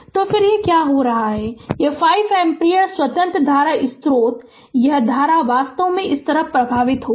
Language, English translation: Hindi, So, then what is happening this 5 ampere independent current source this current actually you will circulate like this right